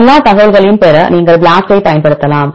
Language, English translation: Tamil, You can use BLAST to get all the information